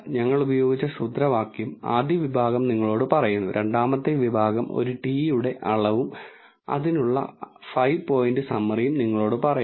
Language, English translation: Malayalam, The first section tells you the formula that we have used, second section tells you the measure of a t and the 5 point summary for it